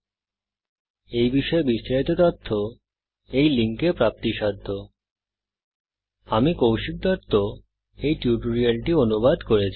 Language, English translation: Bengali, More information on this Mission is available at the following linksspoken HYPHEN tutorial DOT org SLASH NMEICT HYPHEN Intro This tutorial has been contributed by TalentSprint